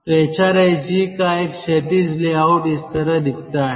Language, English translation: Hindi, so a horizontal layout of a hrsg looks like this